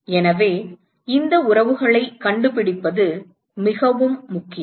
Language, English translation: Tamil, So, it is very important to find these relationships